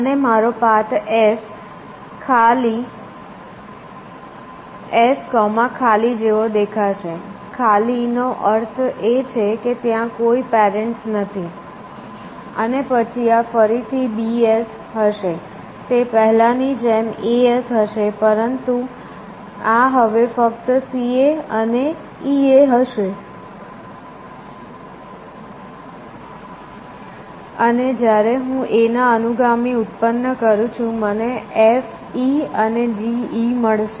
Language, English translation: Gujarati, And my route will look like S comma nil, a nil stands for no parent, and then this will be again B S, this would be A S as before, but this would be now only C A and E A, and when I generate successors of A, I will get F E and G E